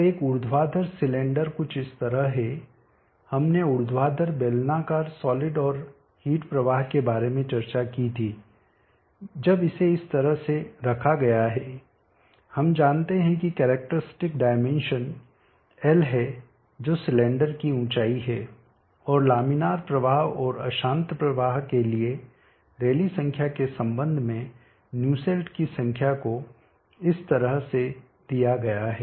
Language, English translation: Hindi, Is something like this we had discussed about the vertical cylindrical solid and the heat flow when it is placed in this fashion and we know that the characteristic dimension is l which is the height of the cylinder and for laminar flow and the turbulent flow the relationship for the Nussle’s number with respect to the rally number is given in this fashion